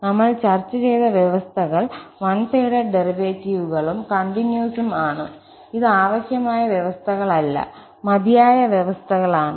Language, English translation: Malayalam, So, the conditions we have discussed, the one sided derivatives and piecewise continuity, these are sufficient conditions not necessary conditions